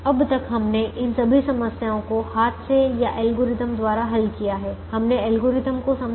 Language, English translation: Hindi, so far we have solved all these problems by hand or by algorithms and explained we have explained the algorithms